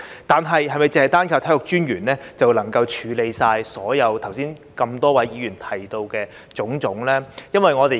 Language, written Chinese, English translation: Cantonese, 然而，是否單靠體育專員就能夠處理剛才多位議員提到的種種問題呢？, However is it possible for the Commissioner of Sports alone to address all the issues just raised by Members?